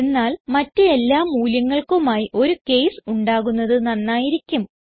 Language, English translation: Malayalam, But it would be better if we could have a case for all other values